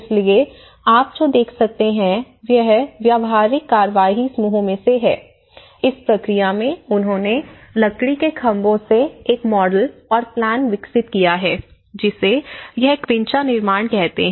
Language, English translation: Hindi, So, what you can see is from the practical action groups, the model they developed the plan with the timber posts in between and they have this is called quincha construction